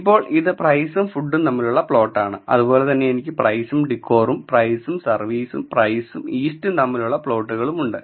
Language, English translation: Malayalam, Now, this is the plot for price versus food similarly I have price versus decor and price versus service and price versus east